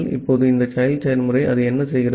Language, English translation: Tamil, Now this child process, what it does